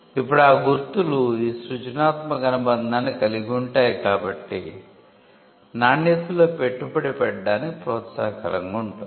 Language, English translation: Telugu, Now, because marks can have this creative association, there was an incentive to invest in quality